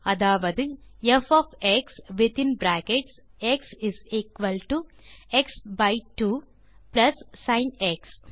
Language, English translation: Tamil, Now we can define f of x that is f of x within brackets x is equal to x by 2 plus sin x